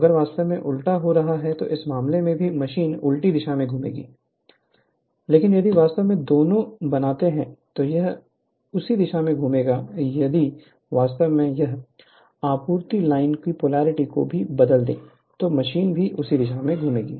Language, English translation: Hindi, So, the here here also, if you when you are reversing then in this case also machine will rotate in the reverse direction, but if you make both then, it will rotate in the same direction, if you interchange the polarity of this supply line also machine will rotate in the same direction right